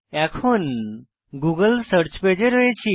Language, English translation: Bengali, We are now in the google search page